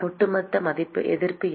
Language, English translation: Tamil, What is the overall resistance